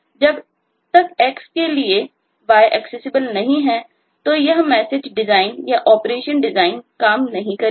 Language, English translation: Hindi, unless is y accessible to x, this message design, the operation design, will not work